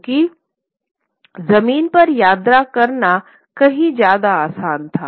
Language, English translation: Hindi, Because travel over land was far easier, so to say